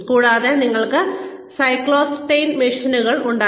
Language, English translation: Malayalam, And, we used to have the cyclostyle machines